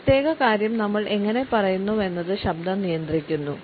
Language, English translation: Malayalam, Voice controls how we say a certain thing